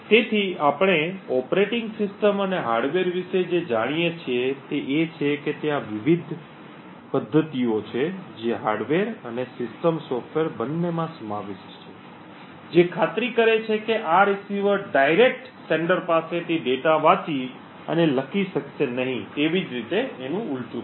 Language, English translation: Gujarati, So what we do know about the operating system and the hardware is that there are various mechanisms which are incorporated in both the hardware and the system software that would ensure that this receiver would not directly be able to read or write data from the sender and vice versa